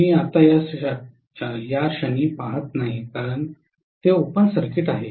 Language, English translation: Marathi, I am not really looking at it right now because it is open circuit